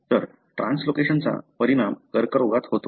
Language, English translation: Marathi, So, the translocation results in the cancer